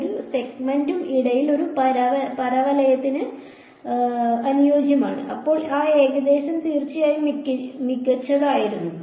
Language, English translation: Malayalam, It fit a parabola in between each segment right and then that approximation will of course be better right